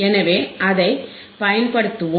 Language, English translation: Tamil, So, let us apply it let us apply it